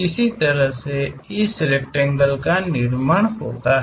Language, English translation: Hindi, In that way construct this rectangle